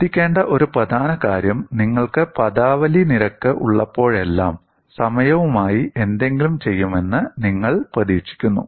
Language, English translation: Malayalam, And a very important point to note is, whenever you have the terminology rate, you expect something to do with time